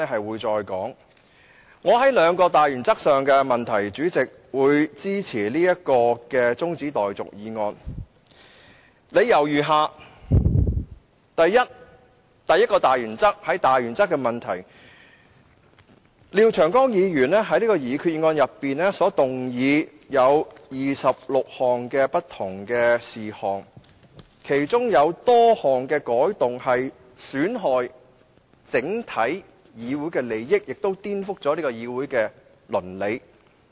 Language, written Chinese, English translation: Cantonese, 為支持此項中止待續議案，我提出兩個大原則的問題如下：第一個大原則的問題是，廖長江議員在擬議決議案動議26項不同的修訂建議，其中多項損害整體議會的利益，亦顛覆議會的倫理。, In support of the adjournment motion I put forth the following two matters of principle the first one is that among the 26 different proposed amendments moved by Mr Martin LIAO in the proposed resolution many jeopardize the general interest of the Council and upset its ethics